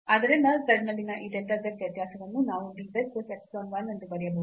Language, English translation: Kannada, So, what we observe now that this delta z variation in z we can write down as dz plus epsilon 1